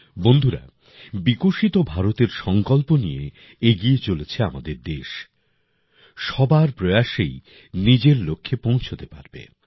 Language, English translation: Bengali, Friends, our country, which is moving with the resolve of a developed India, can achieve its goals only with the efforts of everyone